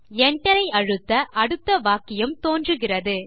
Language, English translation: Tamil, Press Enter.The next sentence appears